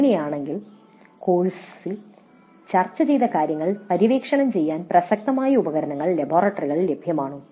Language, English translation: Malayalam, If that is the scenario, whether relevant tools were available in the laboratories to explore the material discussed in the course